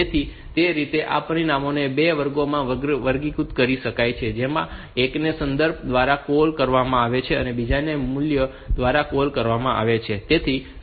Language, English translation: Gujarati, So, that way these parameters so that that can be classified into 2 classes one is called call by reference other is called call by value